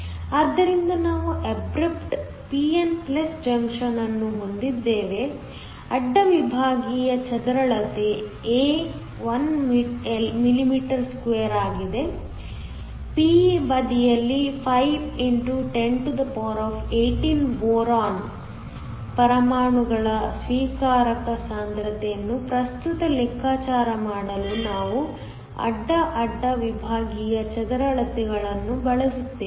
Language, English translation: Kannada, So, We have an abrupt p n junction, the cross sectional area A is 1 mm2, we will use the cross sectional area to calculate the current the acceptor concentration of 5 x 1018 boron atoms on the p side